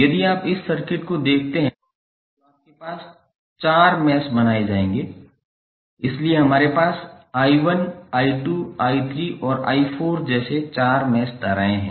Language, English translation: Hindi, If you see this circuit you will have four meshes created, so that is why we have four mesh currents like i 1, i 2, i 3 and i 4